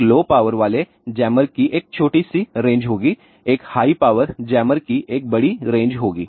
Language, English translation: Hindi, A low power jammer will have a small range; a high power jammer will have a larger range